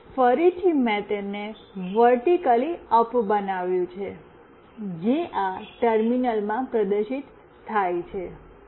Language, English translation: Gujarati, Now, again I have made it vertically up, which is displayed in this terminal